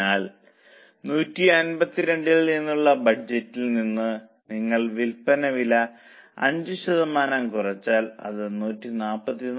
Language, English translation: Malayalam, So, from budget, that is from 152, you decrease the selling price by 5%